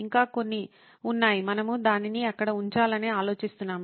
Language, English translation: Telugu, There are still a few more that we were thinking on putting it there